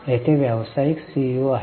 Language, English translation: Marathi, There are professional CEOs